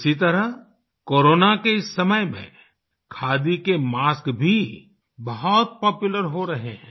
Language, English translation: Hindi, Similarly the khadi masks have also become very popular during Corona